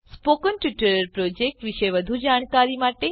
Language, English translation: Gujarati, To know more about the spoken tutorial project